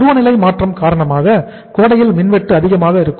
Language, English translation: Tamil, Maybe because of change of season, in summer the power cut is more